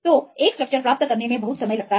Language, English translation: Hindi, So, it takes lot of time to get a get a structure